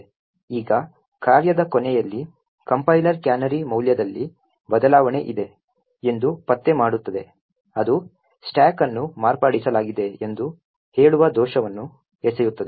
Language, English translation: Kannada, Now at the end of the function the compiler would detect that there is a change in the canary value that is it would throw an error that and that it will throw an error stating that the stack has been modified